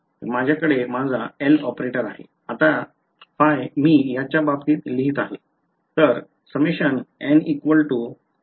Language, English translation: Marathi, So, I have my operator L, now phi I am going to write in terms of these guys